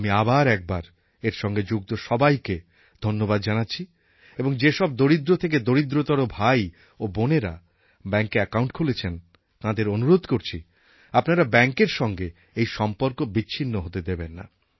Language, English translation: Bengali, I would again like to congratulate all the people associated with this initiative and I would like to request the poor brethren who have opened an account to never severe this relationship